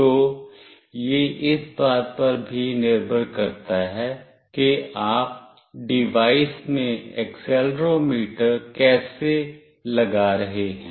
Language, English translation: Hindi, So, it depends on how you are putting the accelerometer in the device also